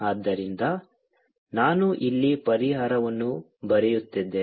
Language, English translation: Kannada, so i am writing the ah, the solution here